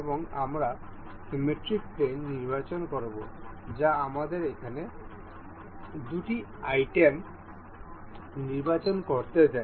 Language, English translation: Bengali, And we will select the symmetric plane allows us to select two items over here